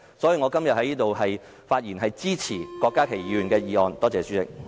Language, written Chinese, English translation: Cantonese, 所以，我今天在此的發言是支持郭家麒議員的議案。, Therefore I speak today in support of Dr KWOK Ka - kis motion